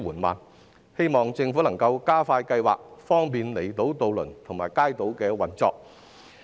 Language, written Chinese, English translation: Cantonese, 我希望政府能加快計劃，方便離島渡輪及街渡的運作。, I hope the Government will speed up the programme to facilitate the operation of outlying island ferries and kaitos